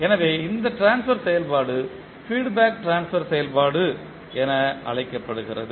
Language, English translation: Tamil, So this particular transfer function is called feedback transfer function